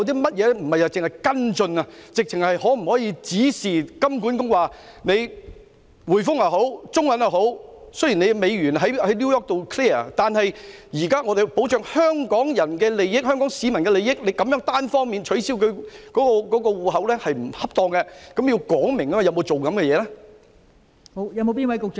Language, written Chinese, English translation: Cantonese, 不單只是作出跟進，究竟當局可否直接指示金管局向銀行說明，雖然美元在紐約結算，但現時應要保障香港人的利益，單方面取消戶口並不恰當，政府有否進行這些工作？, We should not merely make follow - up actions . Can the authorities directly instruct HKMA to explain to the banks that although US dollar transactions are settled in New York we must protect the interests of Hong Kong people now and thus it is inappropriate to cancel someones bank accounts unilaterally? . Has the Government made such efforts?